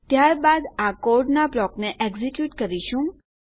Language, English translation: Gujarati, Then we will execute this block of code